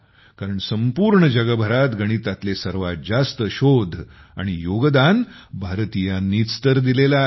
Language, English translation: Marathi, After all, the people of India have given the most research and contribution to the whole world regarding mathematics